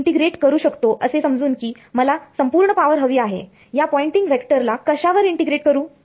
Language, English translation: Marathi, I would integrate supposing I wanted the total power I would integrate this Poynting vector over what